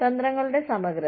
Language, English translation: Malayalam, Integrity of tactics